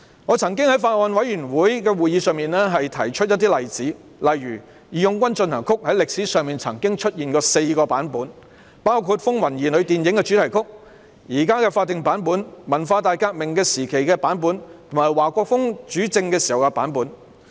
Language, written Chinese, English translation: Cantonese, 我曾經在法案委員會會議上提出一些例子，例如"義勇軍進行曲"在歷史上曾經出現4個版本，包括電影"風雲兒女"的主題曲、現時的法定版本、文化大革命時期的版本，以及華國鋒主政時的版本。, I have cited some examples at the meeting of the Bills Committee . For instance there have been four versions of March of the Volunteers in the past namely the theme song of the film Children of Troubled Times the present statutory version the version during the Cultural Revolution and the one when HUA Guofeng was in power